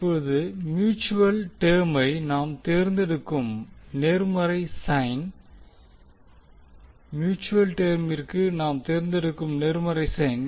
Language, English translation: Tamil, Now the positive sign we will select when mutual term in both the mutual the positive sign we select for the mutual term